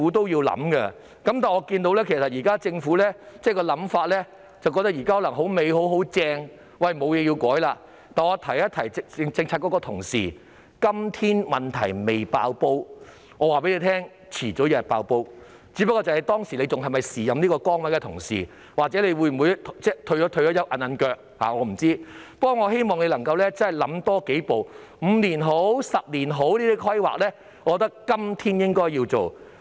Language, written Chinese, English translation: Cantonese, 然而，我看到政府可能覺得現時情況理想，沒有甚麼需要改變，但我要提醒政策局的同事，今天問題尚未"爆煲"，但早晚有一天會"爆煲"，只不過屆時擔任這個職位的人是否同一人，抑或已經退休，我不知道，但我希望他們能夠多想一步，無論是5年或10年的規劃，我覺得都是今天應該要做的。, Yet I wish to remind colleagues in the Policy Bureau that whilst the problem has not yet burst out today it will burst out sooner or later . But I am not sure whether the same person will still be in this position or has already retired by then . Nevertheless I hope they can think about it further whether it is a 5 - year or 10 - year plan I think it should be done today